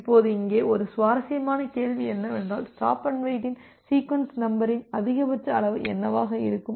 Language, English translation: Tamil, Now, one interesting question here is that what can be the maximum size of the sequence number in stop and wait